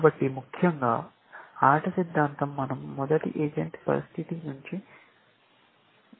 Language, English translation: Telugu, So, essentially, game theory is the first place that we have stepped out of a single agent situation